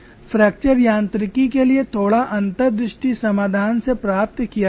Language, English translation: Hindi, Little insight to fracture mechanics was gained from the solution